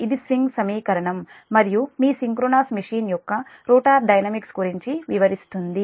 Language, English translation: Telugu, this is swing equation and your, it describes the rotor dynamics of the synchronous machine